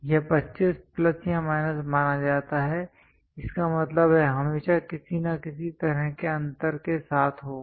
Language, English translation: Hindi, This supposed to be 25 plus or minus; that means, there always with some kind of gap